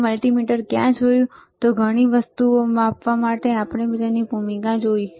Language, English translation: Gujarati, So, where were we have seen the multimeter, and the role of multimeter to measure several things, right